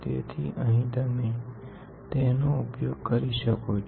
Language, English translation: Gujarati, So, you can use it here